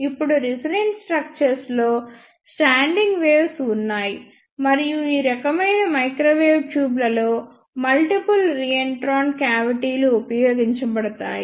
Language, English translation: Telugu, Now, in the resonant structures there are standing waves and multiple reentrant cavities are used in these type of microwave tubes